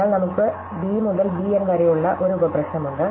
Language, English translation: Malayalam, So, we just have a sub problem which says b2 to b N